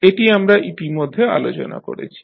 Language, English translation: Bengali, So, this is what we have already discussed